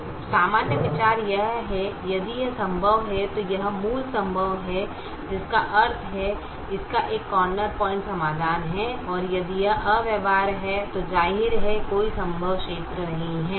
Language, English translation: Hindi, so the general idea is if it is feasible, then it is basic feasible, which means it has a corner point solution, and if it infeasible, then obviously there is no feasible region